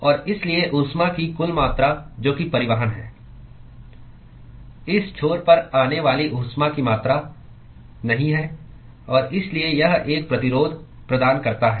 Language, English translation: Hindi, And therefore the total amount of heat that is transport is not exactly the amount of heat that comes at this end and therefore this offers a resistance